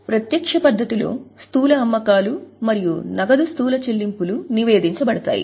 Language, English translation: Telugu, In the direct method, gross sales and gross payments of cash are reported